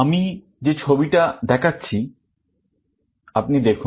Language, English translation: Bengali, You see this diagram that I am showing